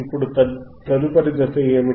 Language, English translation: Telugu, Now, what is the next step